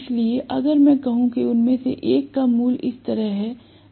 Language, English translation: Hindi, So, if I say that one of them is having a value like this